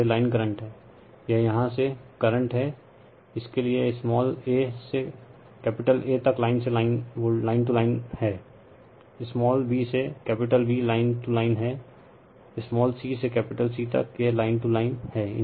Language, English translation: Hindi, And this is the line current this is the current from here to here line a to A is the line, line to line, this small a to A is line, small b to B is line, small c to capital C, it is line, all these cases